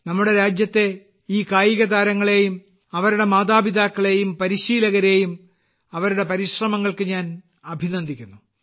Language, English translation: Malayalam, I congratulate all these athletes of the country, their parents and coaches for their efforts